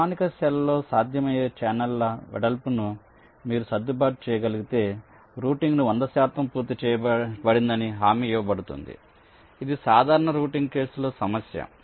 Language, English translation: Telugu, and if you can adjust the width of the channels, which in standard cell is possible, then hundred percent completion of routing is guaranteed, which is indeed a problem in general routing case, say